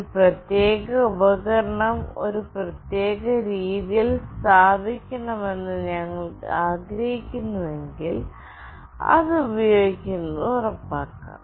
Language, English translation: Malayalam, And if we want a particular device to be placed in a particular way, we can ensure that using this